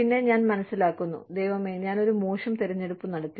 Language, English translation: Malayalam, And then, I realize, oh my god, I made a bad choice